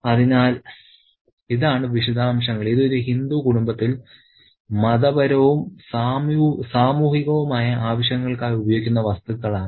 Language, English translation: Malayalam, These are the stuff that are used for religious and social purposes in a Hindu household